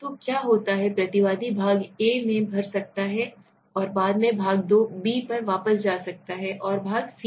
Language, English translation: Hindi, So what happens is the respondent can maybe fill in part A and then later on come back to part B and part C right